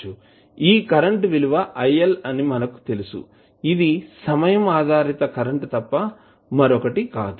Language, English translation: Telugu, We know that this is current it and current say il which is nothing but time dependent current